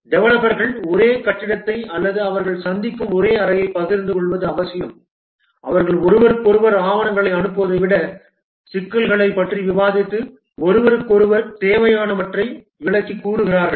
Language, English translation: Tamil, It is required that the developers share the same building or the same room, they meet regularly, discuss issues, rather than passing documents to each other, they go and explain to each other what is required and so on